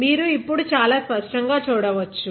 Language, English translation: Telugu, So, you can see it now very clearly